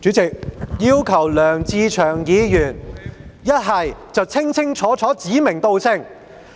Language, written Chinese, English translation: Cantonese, 主席，我要求梁志祥議員清楚地指名道姓。, President I ask Mr LEUNG Che - cheung to specify who he is pointing fingers at